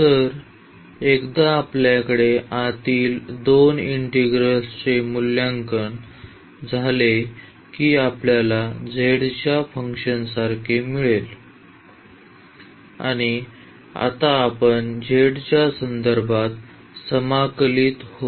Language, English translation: Marathi, So, once we have the evaluation of the inner 2 integral that we are getting like a function of z and now we will integrate with respect to z